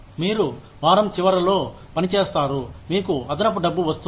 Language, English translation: Telugu, You work on a week end, you get extra money